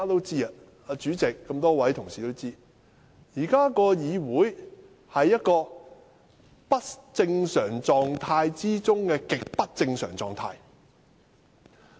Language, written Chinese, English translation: Cantonese, 主席和一眾同事都知道，議會目前處於不正常狀態中的極不正常狀態。, As known to the President and all Honourable colleagues the Council is now in an extremely abnormal state . It is beyond abnormal